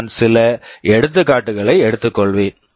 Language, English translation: Tamil, I will take some example